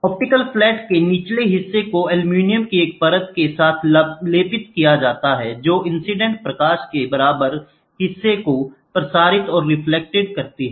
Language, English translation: Hindi, The lower portion of the optical flat is coated with a film of aluminum which transmits and reflects equal portion of the incident light